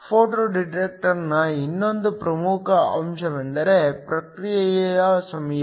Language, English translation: Kannada, Another important factor in the case of a photo detector is the Response time